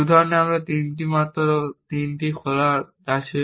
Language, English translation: Bengali, In this example, I have only three open goals